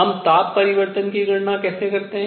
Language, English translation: Hindi, So, the calculations of temperature change